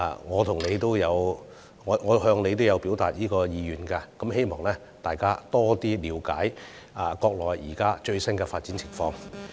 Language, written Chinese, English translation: Cantonese, 我曾經向你表達過這個意願，希望能讓議員加深了解國內現在最新的發展情況。, I have expressed this wish to you before as I hope Members can then have a better understanding of the latest development of the Mainland